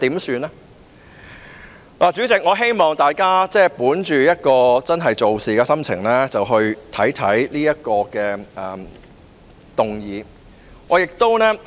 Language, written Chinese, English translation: Cantonese, 主席，我希望大家本着真正做事的心情來考慮這項議案。, President I hope Honourable colleagues will consider this motion from the perspective of doing the real work